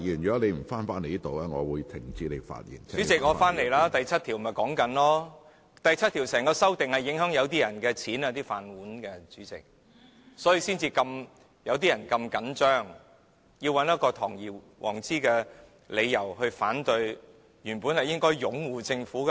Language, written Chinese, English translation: Cantonese, 主席，我現在便是說第7條，第7條的修訂影響某些人的收入、"飯碗"，主席，所以他們才這麼緊張，要找一個堂而皇之的理由來反對，原本應該是擁護政府的。, Chairman I am talking about Clause 7 . The amendments to Clause 7 will affect the income or livelihood of some people Chairman therefore these people are so nervous about the amendments and trying to find a grandiose excuse to oppose them . They should be supporting the Government